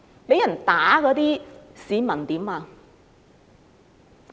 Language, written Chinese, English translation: Cantonese, 被打的市民怎麼樣？, How about people having been beaten up?